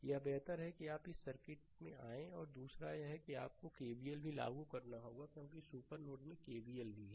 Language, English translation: Hindi, This ah better you come to this circuit second 1 is that you have to apply KVL also in the ah because of supernode that KVL is also